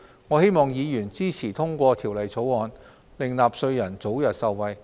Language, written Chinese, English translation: Cantonese, 我希望議員支持通過《條例草案》，令納稅人早日受惠。, I hope Members will support the passage of the Bill so that taxpayers can benefit early